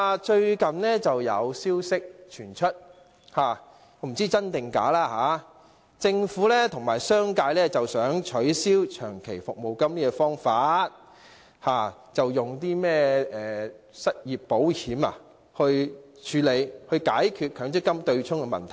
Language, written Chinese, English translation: Cantonese, 最近有不知真假的消息傳出，指政府和商界想取消長期服務金，改以失業保險來處理和解決強積金對沖問題。, Recently there has been unverified news about the Government and the commercial sector wishing to abolish long service payments and replace it with unemployment insurance as an option for handling and addressing the problem of the MPF offsetting arrangement . We in FTU strongly oppose it